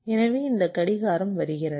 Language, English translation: Tamil, this clocks are coming